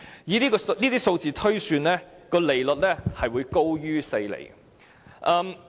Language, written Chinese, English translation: Cantonese, 以這些數字推算，利率會高於4厘。, Based on these figures the interest rate should be higher than 4 %